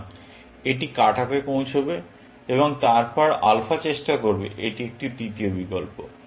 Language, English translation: Bengali, So, this will get cut off and then, alpha will try; this is a third option